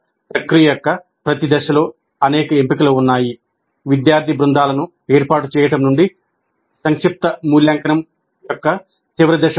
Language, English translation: Telugu, There are many choices at every step of the process right from forming student teams to the final step of summative evaluation